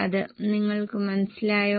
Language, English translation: Malayalam, Are you getting it